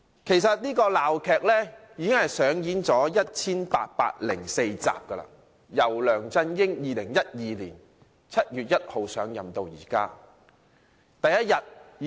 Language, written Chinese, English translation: Cantonese, 其實，這齣鬧劇已上演了 1,804 集，由梁振英在2012年7月1日上任起上演至今。, In fact they have been staging this farce for 1 804 days ever since LEUNG Chun - ying was inaugurated on 1 July 2012